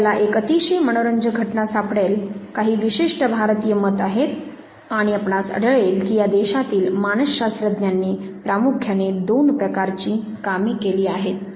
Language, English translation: Marathi, You would find very interesting phenomena there are certain Indian notions and you would find that psychologist within this country have done two types of work primarily